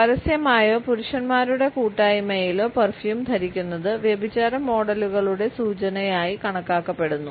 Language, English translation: Malayalam, To wear perfumes in public or in the company of men is considered to be an indication of adulteress models